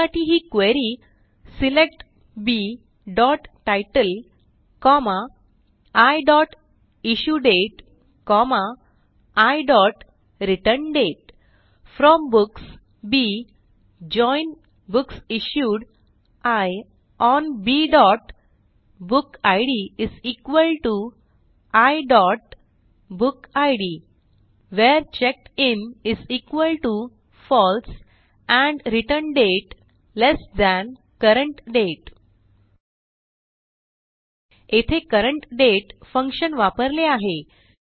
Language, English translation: Marathi, And the query is: SELECT B.Title, I.IssueDate, I.ReturnDate FROM Books B JOIN BooksIssued I ON B.bookid = I.BookId WHERE CheckedIn = FALSE and ReturnDate lt CURRENT DATE So, notice the use of the CURRENT DATE function